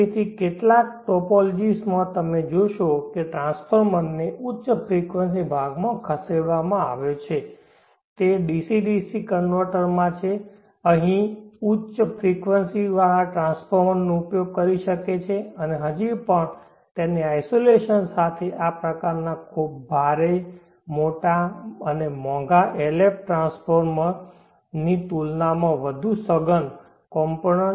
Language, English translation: Gujarati, So therefore, in some of the topologies you will see that the transformer has been shifted to the high frequency portion that is in the DC DC converter one can use a high frequency transformer here isolation here, and still how isolation along with a much more compact component count compared to this kind of a very heavy big and expensive LF transformer